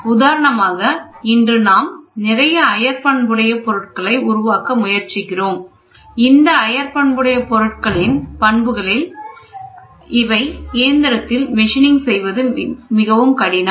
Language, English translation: Tamil, For example, today we are trying to develop a lot of exotic materials, these exotic materials have properties which are very difficult to machine